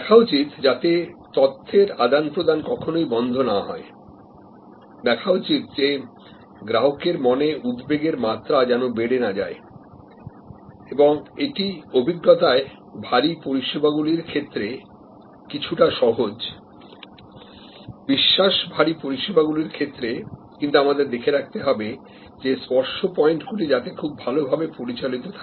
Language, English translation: Bengali, See that the knowledge flow is not interrupted, see that the anxiety level does not raise in the mind of the consumer and similarly, in the experience heavy services it is a bit easier than the credence based services, but we have to see that the touch points are well managed